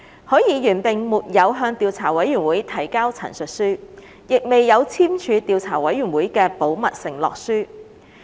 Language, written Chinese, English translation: Cantonese, 許議員並沒有向調査委員會提交陳述書，亦未有簽署調查委員會的保密承諾書。, Mr HUI has neither produced his written statement to the Investigation Committee nor signed the confidentiality undertaking of the Investigation Committee